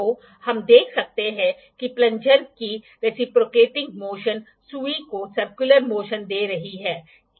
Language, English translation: Hindi, So, we can see the reciprocating motion of the plunger is giving the circular motion to the needle